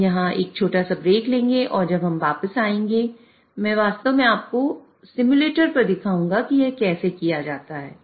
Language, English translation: Hindi, So, we'll take a short break and when we come back, I'll actually show you on a simulator how this can be done